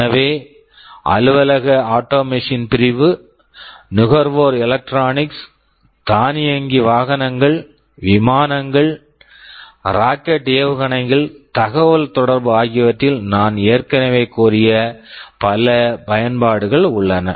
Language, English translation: Tamil, So, there are many applications I already talked about in office automation segment, consumer electronics, automotive, vehicles, airplanes, rockets missiles, communication you will find these devices everywhere